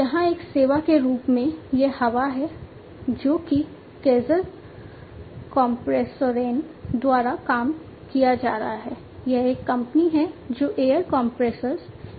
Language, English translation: Hindi, This is this air as a service, which is being worked upon by Kaeser Kompressoren, which is a company which is into the manufacturing of air compressors